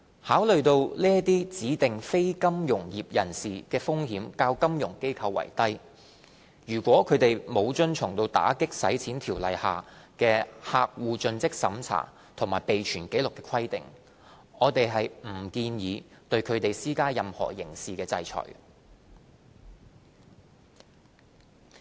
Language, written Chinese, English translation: Cantonese, 考慮到這些指定非金融業人士的風險較金融機構為低，如果他們不遵從《條例》下就客戶作盡職審查及備存紀錄的規定，我們不建議對他們施加任何刑事制裁。, We do not propose to impose criminal sanctions for non - compliances with CDD and record - keeping requirements under AMLO in view of the lesser risks concerning these DNFBP sectors when compared with financial institutions